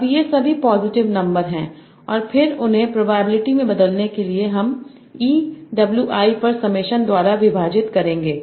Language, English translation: Hindi, Now they are all positive numbers and then to convert them to probability I will just divide it by summation over EWI for all I